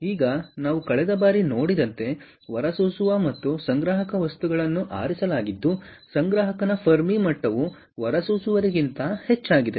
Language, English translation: Kannada, ok, now, as we saw last time, the emitter and collector materials are chosen such that the fermi level of the collector is higher than that of the emitter